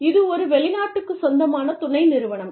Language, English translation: Tamil, It is a foreign owned subsidiary